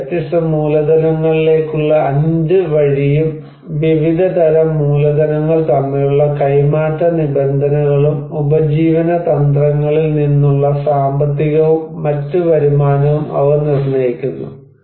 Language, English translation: Malayalam, They determine the 5 access to 5 different type of capitals and terms of exchange between different types of capitals and the economic and other returns from livelihood strategies